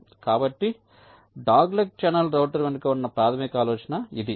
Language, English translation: Telugu, so this is the basic idea behind the dogleg channel router